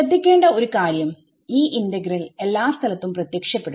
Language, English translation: Malayalam, So, notice that this integral appears everywhere its